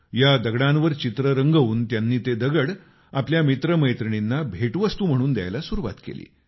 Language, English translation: Marathi, After painting these stones, she started gifting them to her friends